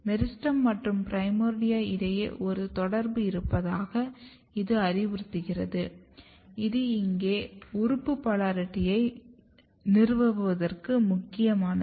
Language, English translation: Tamil, And this suggest basically that there is a communication between meristem and primordia that is also important for establishing organ polarity here